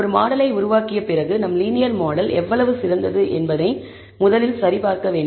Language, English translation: Tamil, After having built a model, we first need to check how good is our linear model